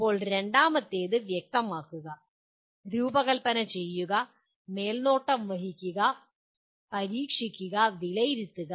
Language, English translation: Malayalam, Now second one, specify, design, supervise, test, and evaluate